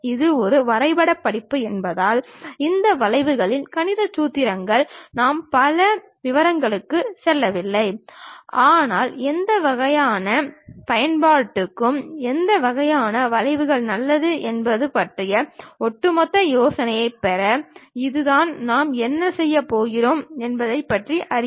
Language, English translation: Tamil, Because it is a drawing course we are not going too many details into mathematical formulation of these curves ah, but just to have overall idea about what kind of curves are good for what kind of applications, that is the thing what we are going to learn about it